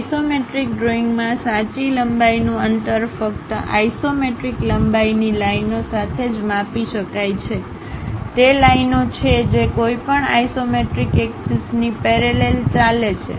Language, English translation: Gujarati, In an isometric drawing, true length distance can only be measured along isometric lengths lines; that is lines that run parallel to any of the isometric axis